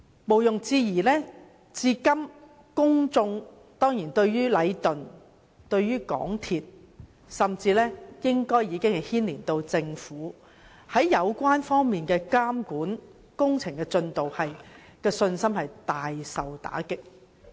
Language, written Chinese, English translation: Cantonese, 毋庸置疑，如今公眾對禮頓建築有限公司、港鐵公司甚至政府在監管工程方面的信心，以至對工程進度的信心，已大受打擊。, Undoubtedly the public has lost confidence in the monitoring of works by Leighton Contractors Asia Limited Leighton MTRCL and even the Government and in the progress of works